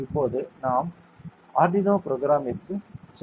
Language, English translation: Tamil, Now we will move on to the Arduino programming ok